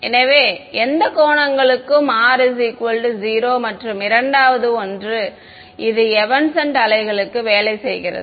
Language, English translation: Tamil, So, R is equal to 0 for any angle and the second one is: it works for evanescent waves